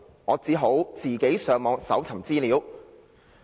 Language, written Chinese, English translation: Cantonese, '我只好自己上網搜尋資料。, Hence I could only do some research on the Internet